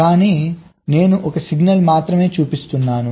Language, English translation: Telugu, i am showing just one signal